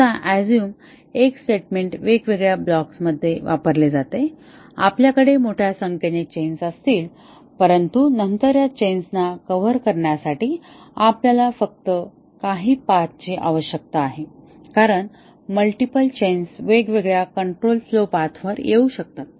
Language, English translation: Marathi, Now, assuming that X, the statement is used in different blocks, we will have a large number of chains, but then we need only a few paths to cover these chains because multiple chains can occur on different control flow paths